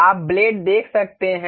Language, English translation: Hindi, You can see the blades